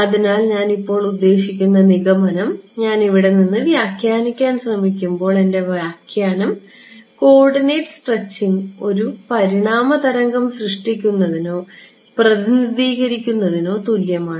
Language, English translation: Malayalam, So, the conclusion I mean now if I when I try to interpret from here, my interpretation is, coordinate stretching is equivalent to generating a or representing an evanescent wave